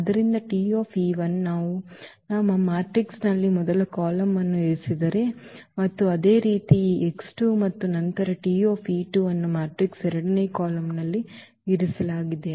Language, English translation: Kannada, So, T e 1 if we place as a first column in our matrix and similarly this x 2 and then this T e 2 placed in the matrices second column